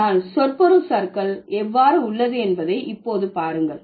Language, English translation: Tamil, But see now how the semantic drift has happened